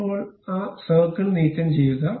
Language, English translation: Malayalam, Now, remove that circle, ok